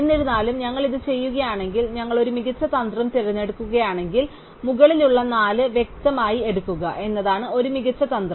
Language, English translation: Malayalam, However, if we do not do this, if we choose a better strategy, a better strategy would be to clearly take the four on the top